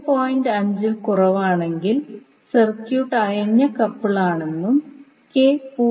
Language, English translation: Malayalam, 5, we say that circuit is loosely coupled and if k is greater than 0